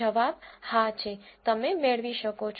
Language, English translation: Gujarati, The answer is yes, you can get